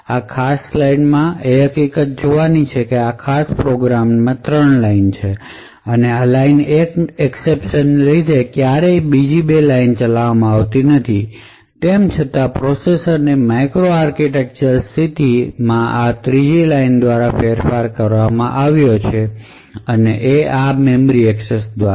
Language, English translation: Gujarati, The takeaway from this particular slide is the fact that even though this line 3 in this particular program has never been executed due to this exception that is raised in line 1, nevertheless the micro architectural state of the processor is modified by this third line by this memory access